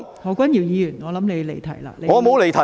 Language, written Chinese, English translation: Cantonese, 何君堯議員，我認為你已離題。, Dr Junius HO I think you have deviated from the subject